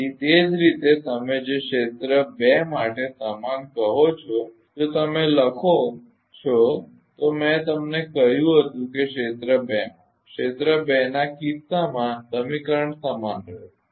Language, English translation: Gujarati, So, similarly your what you call similarly for the area two if you write I told you that area two in the case of area two equation will remain same